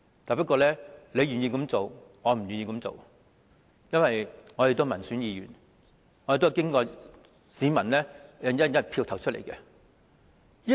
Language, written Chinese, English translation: Cantonese, 即使有人願意這樣做，我也不願意這樣做，因為我是民選議員，是經市民"一人一票"投選出來的。, Even if someone is willing to do so I am not willing to do so because I am elected by the people through one person one vote